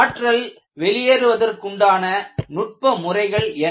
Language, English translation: Tamil, What are the energy dissipating mechanisms